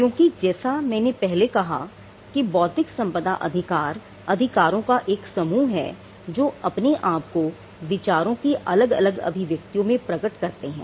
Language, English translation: Hindi, Because, as I said earlier intellectual property rights are a group of rights which manifest on different expressions of ideas that is one definition of it